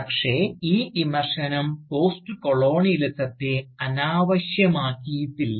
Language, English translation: Malayalam, But, this Criticism, has not made Postcolonialism, redundant